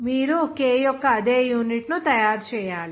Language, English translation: Telugu, You have to make the unit of A same as that K